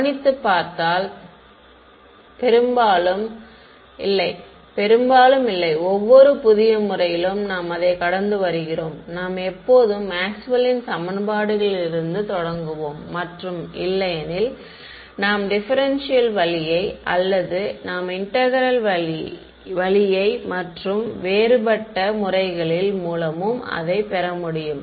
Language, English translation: Tamil, See notice that, in almost not almost in every single new method that we come across, we always just start from Maxwell’s equations and either take it through a differential route or a integral route and then different methods come from them